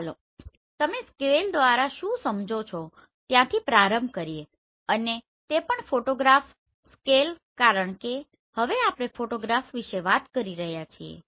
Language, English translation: Gujarati, So let us start by what do you understand by scale and that too photograph scale because now we are talking about the photograph